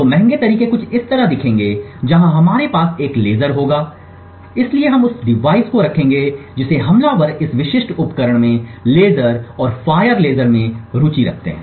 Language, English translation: Hindi, So the expensive ways would look something like this where we would have a laser so we would place the device which the attacker is interested in the laser and fire laser at this specific device